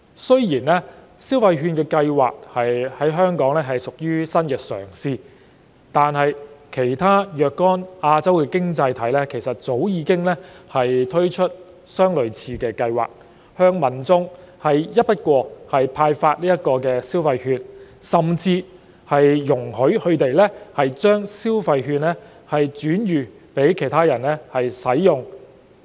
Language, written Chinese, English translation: Cantonese, 雖然消費券計劃在香港屬新嘗試，但其他若干亞洲經濟體早已推出類似計劃，向民眾一筆過派發消費券，甚至容許他們將消費券轉予他人使用。, While the consumption voucher scheme is a new attempt in Hong Kong some other Asian economies have already launched similar schemes and disburse consumption vouchers to the people in one go . They even allowed their people to transfer the consumption vouchers to others for their consumption